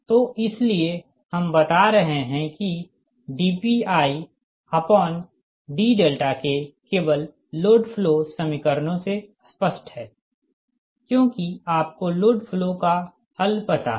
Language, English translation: Hindi, so that is why we are telling that dpi by delta k explicitly from the load flow equations only right, because you have to know the load flow solution